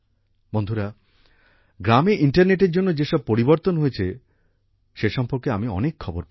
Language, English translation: Bengali, Friends, I get many such messages from villages, which share with me the changes brought about by the internet